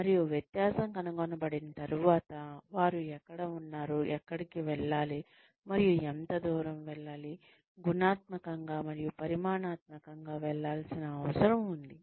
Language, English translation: Telugu, And, once the difference is found out, once it is found out, , where one is in, where one needs to go, and what is the distance, qualitatively and quantitatively, that needs to be travelled